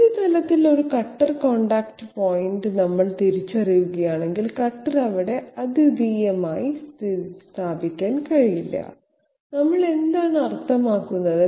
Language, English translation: Malayalam, If we identify a cutter contact point on the surface, the cutter cannot be you know uniquely positioned there, what do we mean by that